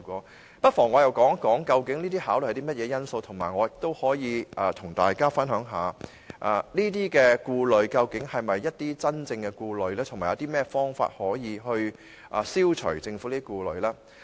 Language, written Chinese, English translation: Cantonese, 我不妨說說究竟這些考慮包含甚麼因素，同時我也可以和大家分享一下，這些顧慮究竟是不是真正的顧慮，以及有甚麼方法可以消除政府的顧慮。, I may as well talk about what these considerations include . At the same time I can also share with you whether these concerns are real concerns and in what way the Governments concerns can be removed